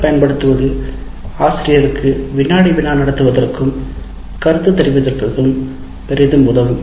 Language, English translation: Tamil, Using an LMS will greatly facilitate the teacher to conduct a quiz and give feedback